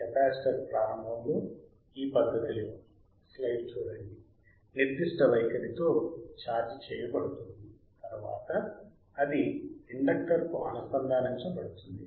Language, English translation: Telugu, Capacitor is charged initially with plates in this particular fashion right, then it is connected to an inductor